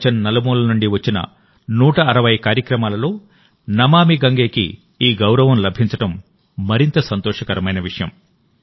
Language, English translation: Telugu, It is even more heartening that 'Namami Gange' has received this honor among 160 such initiatives from all over the world